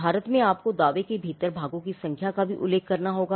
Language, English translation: Hindi, In India, you will have to mention the numbers of the parts within the claim also